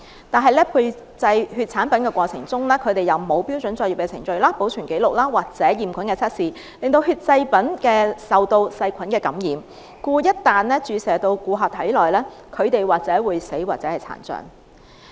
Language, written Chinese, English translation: Cantonese, 但是，在配製血液產品的過程中，他們沒有遵照標準作業的程序、保存紀錄或驗菌測試，令血液製品受到細菌感染，故一旦注射至顧客的體內，或會導致死亡或殘障。, However in processing the blood mixture the corporation did not follow any standard protocol nor did it keep any record or conduct any bacteriological testing . Thus when the bacteria - infested blood mixture was infused into the person it might lead to death or disability